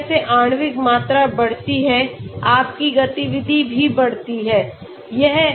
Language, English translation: Hindi, As the molecular volume increases, your activity also increases